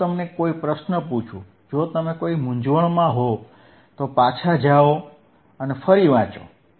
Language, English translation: Gujarati, that iIf I ask you any question, if you wareere confused, you to go back and read somewhere all right;